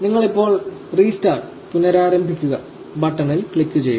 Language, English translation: Malayalam, And you click on the restart now button